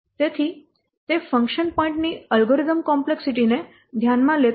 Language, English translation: Gujarati, So, it does not consider algorithm complexity of a function